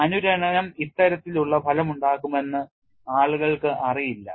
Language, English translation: Malayalam, People did not know that resonance can cause this kind of an effect